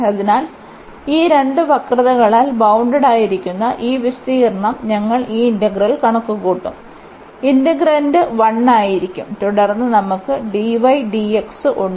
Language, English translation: Malayalam, So, this area bounded by these two curves we will compute this integral, the integrand will be 1 and then we have dy dx